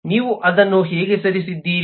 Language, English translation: Kannada, how did you move that